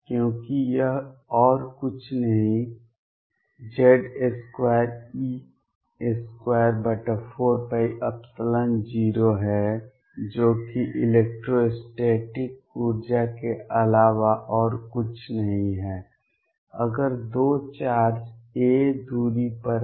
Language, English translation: Hindi, Because this is nothing but z square e square over 4 pi epsilon naught a, which is nothing but the electrostatic energy if 2 charges are at a distance a